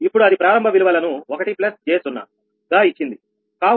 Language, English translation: Telugu, it has given starting values one plus j zero